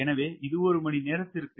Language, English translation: Tamil, so this is per hour